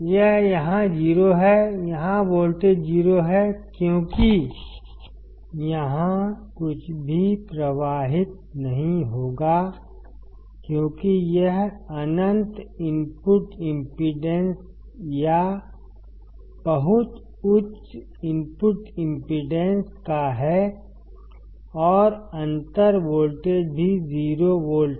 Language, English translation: Hindi, It is 0 here; here the voltage is 0 because nothing will flow here as it is of infinite input impedance or a very high input impedance and the difference voltage is also 0 volt